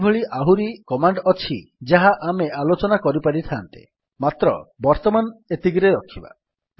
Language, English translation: Odia, There are several other commands that we could have discussed but we would keep it to this for now